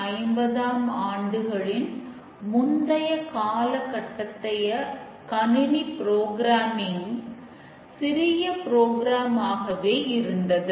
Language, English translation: Tamil, In the 1950s was the early computer programming